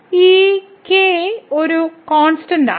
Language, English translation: Malayalam, So, this is a constant